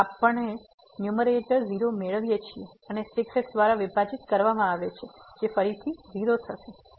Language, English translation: Gujarati, So, we are getting in the numerator and divided by which is again